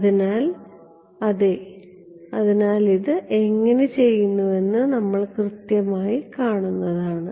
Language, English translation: Malayalam, So, so we will yeah I mean we will exactly see how this is done